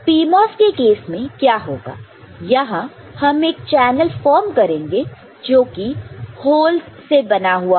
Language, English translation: Hindi, In case of PMOS what will happen, we want to form a channel made of holes, made up of holes